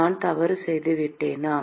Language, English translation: Tamil, Did I make a mistake